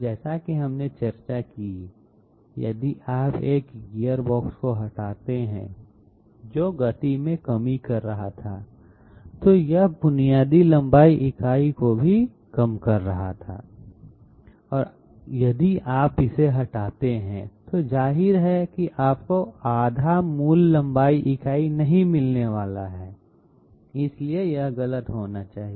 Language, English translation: Hindi, As we discussed, if you remove a gearbox which was doing a reduction in the speed, it was also reducing the basic length unit and if you remove it, obviously you are not going to get half the basic length unit, so it must be incorrect